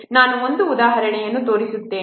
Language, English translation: Kannada, I will show an example